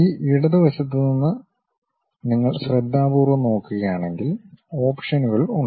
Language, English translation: Malayalam, If you are carefully looking at on this left hand side, there are options